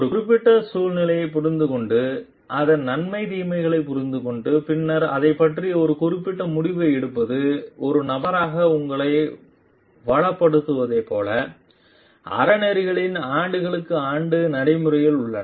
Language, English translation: Tamil, Like, it is the years and years of practice of ethics understanding a particular situation understanding the pros and cons of it and then taking a particular decision about it came like enriches you as a person